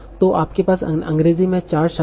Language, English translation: Hindi, So you have four words in English